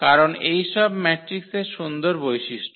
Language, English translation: Bengali, Because of the nice properties of such of matrices